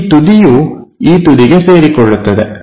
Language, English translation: Kannada, So, this edge coincides with this edge